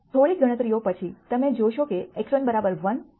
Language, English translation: Gujarati, After some more calculations you will see that x 1 equal to 1 x 2 equal to 2